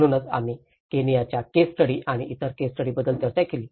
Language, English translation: Marathi, So, that is where we discussed about the Kenyan case studies and other case studies as well